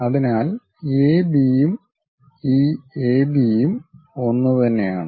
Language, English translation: Malayalam, So, whatever AB and this AB, one and the same